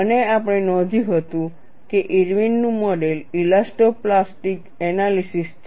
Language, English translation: Gujarati, And we had noted that Irwin’s model is an elasto plastic analysis and this we have set this as an elastic analysis